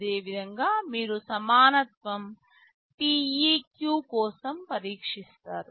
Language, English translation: Telugu, Similarly, you test for equality, TEQ